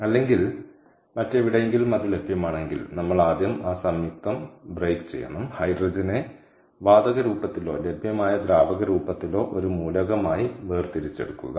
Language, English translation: Malayalam, or or in other, wherever it is available, ah, we have to first break up that compound and extract the hydrogen out as an element in the gaseous form or in the liquid form, which form is available